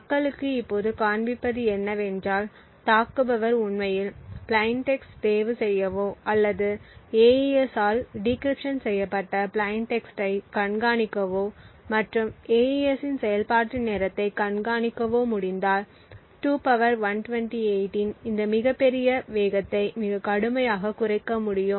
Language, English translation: Tamil, What people now show is that if an attacker is able to actually choose plain text or monitor the plain text that are being encrypted by AES and also monitor the execution time of AES then this huge pace of 2 power 128 can be reduced quite drastically